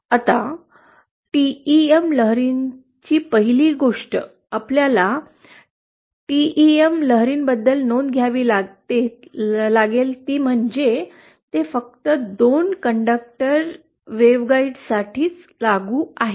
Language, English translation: Marathi, Now, TEM waves 1st thing we have to note about TEM waves is that they are applicable only for 2 conductor waveguides